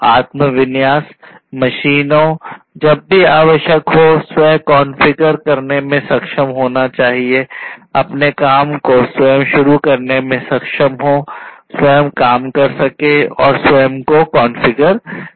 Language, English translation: Hindi, Self configuration the machines should be able to self configure whenever required this would be able to start up on their own, work on their own, configure on their own and so, on